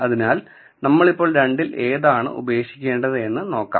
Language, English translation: Malayalam, So, as we go along let us see which of the two we have to drop